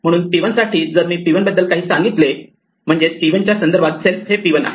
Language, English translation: Marathi, So, for p 1 if I tell something about p 1 well in the context of p 1 self is p 1